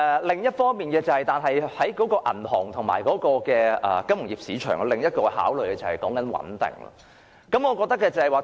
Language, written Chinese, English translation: Cantonese, 另一方面，銀行和金融業市場的另一個考慮點，就是穩定。, Meanwhile another consideration of the banking and financial market is stability